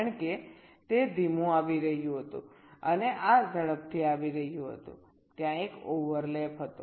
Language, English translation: Gujarati, because it was coming slower and this was coming faster, there was a overlap